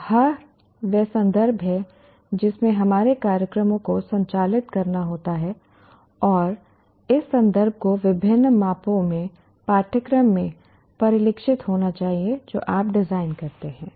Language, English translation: Hindi, So this is the context in which our programs have to operate and this context will have to in various measure should get reflected in the curriculum that you design